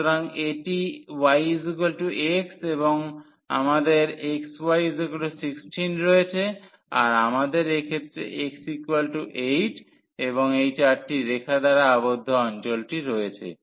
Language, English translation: Bengali, So, this is y is equal to x and we have x y is equal to 16 and we have in this case x is equal to 8 and the region enclosed by these 4 curves